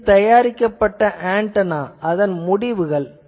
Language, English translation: Tamil, So, this is the fabricated antenna, these are some results